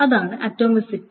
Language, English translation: Malayalam, That is the atomicity